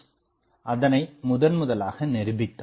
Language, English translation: Tamil, Bose proved it